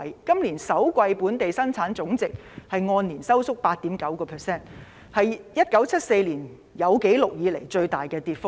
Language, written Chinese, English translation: Cantonese, 今年首季本地生產總值按年收縮 8.9%， 是1974年有紀錄以來的最大跌幅。, GDP shrank by 8.9 % in real terms in the first quarter of 2020 on a year - on - year basis . This is the biggest fall since records began in 1974